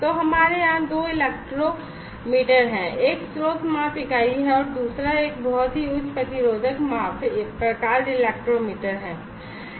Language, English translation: Hindi, So, we have two electrometer here, one is a source measure unit and another one is a very high resistive measurement type electrometer